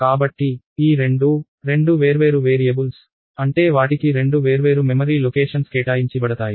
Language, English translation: Telugu, So, these two are two different variables, which means they will get two different memory locations assigned to them